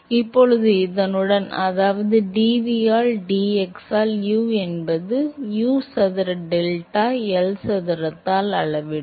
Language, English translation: Tamil, So, now with this, which means u into d v by d x would actually scale as U square delta by L square